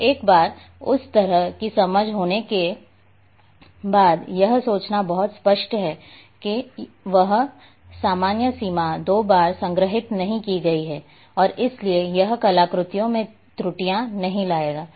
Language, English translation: Hindi, And once a that kind of understanding is there it is very obvious to think that this common boundary has not been stored twice and therefore it will not bring errors in artifact